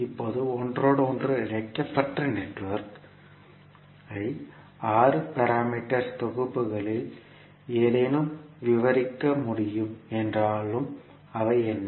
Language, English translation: Tamil, Now, although the interconnected network can be described by any of the 6 parameter sets, what were those